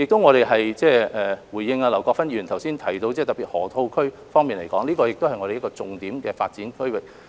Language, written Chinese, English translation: Cantonese, 我亦想回應劉國勳議員剛才特別提及的河套區，這是我們重點發展的區域。, Also I would like to respond to Mr LAU Kwok - fans special concern over the Loop area which is our key development area